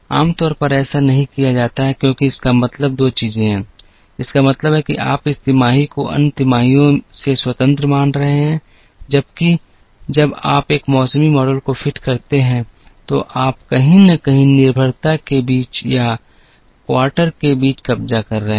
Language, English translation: Hindi, Normally that is not done, because it means 2 things, it means you are treating this quarter as independent of the other 3 quarters whereas, when you fit a seasonality model you are capturing somewhere the dependency between or amongst the quarters